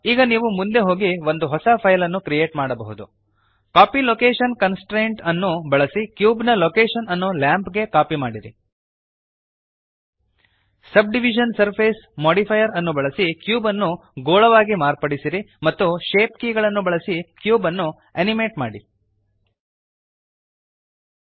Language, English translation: Kannada, Now you can go ahead and create a new file using Copy Location Constraint, copy the location of the cube to the lamp using the Subdivision Surface modifier, change the cube into a sphere and animate the cube using shape keys